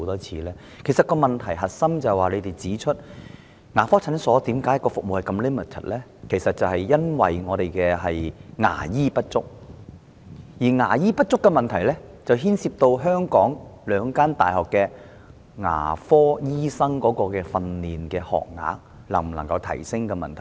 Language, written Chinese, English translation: Cantonese, 局方指出問題的核心是牙科診所服務相當 limited， 原因其實是牙醫不足，而牙醫不足牽涉到香港兩間大學的牙科醫生訓練學額能否增加的問題。, The Bureau has pointed out that the crux of the issue lies in dental clinic services being rather limited . The actual reason is a shortage of dentists and such a shortage concerns the feasibility of increasing the training places for dentists offered by the two universities in Hong Kong